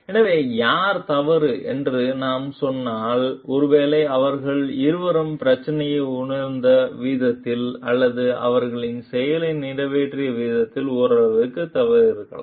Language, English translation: Tamil, So, if we tell like who is wrong maybe both of them are wrong to some extent in the way that they have perceived the problem or the way that they have executed their action